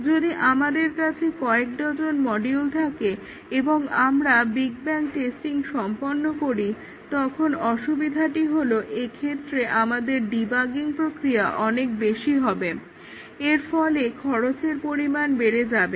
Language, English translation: Bengali, If we have several dozens of modules and we do a big bang testing, then the disadvantage is that our debugging process will be enormous